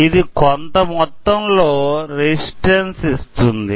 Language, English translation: Telugu, It will provide some small amount of resistance